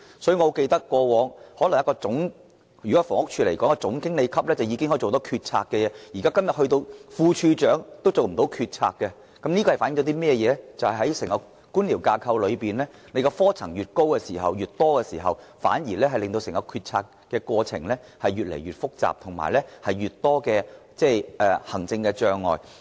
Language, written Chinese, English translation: Cantonese, 以房屋署為例，以往一位總經理級員工已經可以作出決策，但今天即使副署長也不能這樣做，這反映整個官僚架構的科層如果越來越高或越來越多，整個決策過程反而變得越來越複雜和越來越多行政障礙。, In the past a General Manager could already make decisions . Today even a Deputy Director is not allowed to do the same . This reflects that the entire decision - making process will become even more complicated and faces increasing administrative obstacles should the whole bureaucratic structure get higher and higher or contain more and more tiers